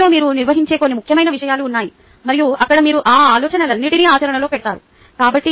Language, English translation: Telugu, and there are certain important things which you will ah handle in the class and there you will put all these ideas into practice